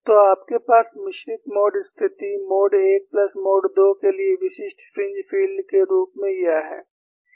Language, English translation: Hindi, So, you have this as a typical fringe field for a mixed mode situation, mode 1 plus mode 2